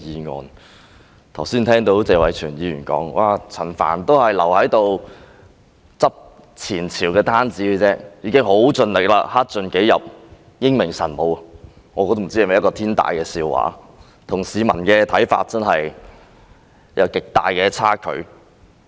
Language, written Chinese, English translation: Cantonese, 我剛才聽到謝偉銓議員說，陳帆只是在收拾前朝的爛攤子而已，他已經很盡力，克盡己職，英明神武，我不知這是否天大的笑話，與市民的看法真的有極大的差距。, Just now I heard Mr Tony TSE say that Frank CHAN is only tidying up the mess left behind by the former Governments that he has exerted himself to discharge his duties faithfully and that he is brilliant and wise . I wonder if this is the biggest joke of all for this is indeed vastly different from the views of the people